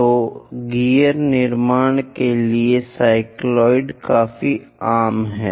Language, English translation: Hindi, So, cycloids are quite common for gear construction